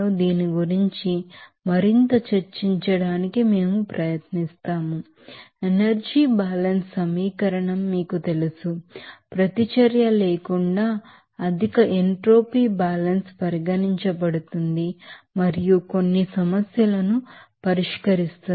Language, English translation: Telugu, We will try to discuss more about this you know energy balance equation, higher entropy balance will be considered without reaction and solving some problems